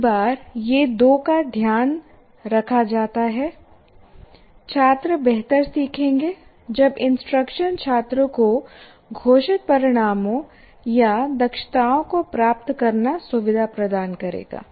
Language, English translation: Hindi, Now these two, once they are taken care of, students will learn better when instruction facilitates the student to acquire the stated outcomes or competencies